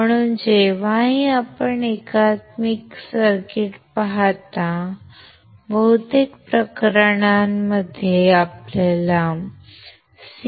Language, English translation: Marathi, So, whenever you see an indicator circuits, most of the cases you will find CMOS